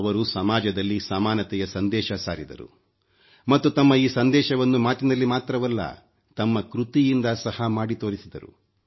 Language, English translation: Kannada, He advocated the message of equality in society, not through mere words but through concrete endeavour